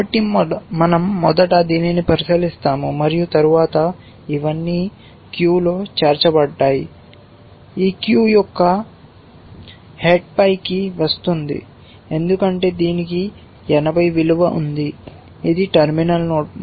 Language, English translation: Telugu, So, we first look at this and then so, all these added to the queue, this comes to the head of the queue because it has a value of 80, it is a terminal node